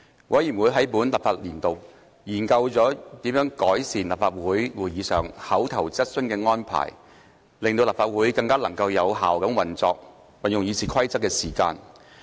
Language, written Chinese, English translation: Cantonese, 委員會在本立法年度，研究了如何改善在立法會會議上口頭質詢的安排，令立法會能更有效運用議事的時間。, During this legislative session the Committee studied ways to improve the arrangements for handling oral questions at Council meetings so as to ensure more effective use of the Councils time on discussion